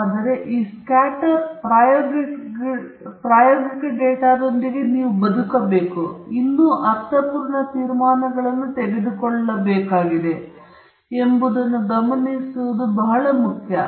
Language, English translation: Kannada, But it’s very important to note that you have to live with this scatter experimental data and still draw meaningful conclusions